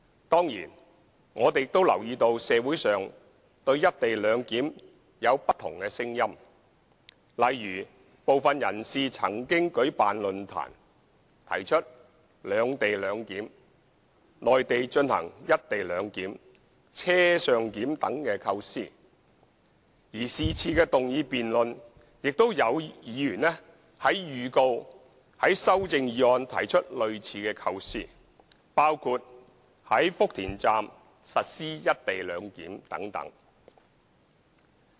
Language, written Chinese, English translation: Cantonese, 當然，我們亦留意到社會上對"一地兩檢"有不同的聲音，例如部分人士曾舉辦論壇，提出"兩地兩檢"、內地進行"一地兩檢"、"車上檢"等構思，而是次議案辯論中也有議員預告會於修正案提出類似構思，包括在福田站實施"一地兩檢"等。, Certainly we have also noticed the presence of divergent views on the co - location arrangement in society . For example some people have organized forums and proposed such concepts as separate location arrangement co - location arrangement on the Mainland and on - board clearance . Some Members have also proposed similar concepts in notices given on moving amendments in this motion debate including the implementation of the co - location arrangement at the Futian Station and so on